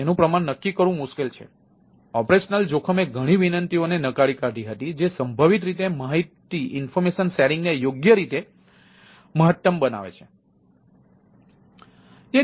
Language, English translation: Gujarati, it is difficult to quantified operational risk did discards many request ah which potentially maximize information sharing, right